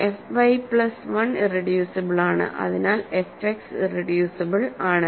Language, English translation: Malayalam, So, f y plus 1 is irreducible, so f X is irreducible